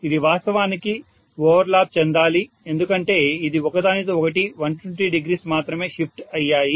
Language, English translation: Telugu, It should actually overlap because it is 120 degrees only shifted from each other